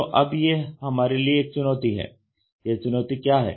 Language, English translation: Hindi, So, now, there comes a challenge, What is the challenge